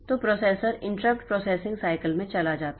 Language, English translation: Hindi, So, the processor goes into inter art processing cycle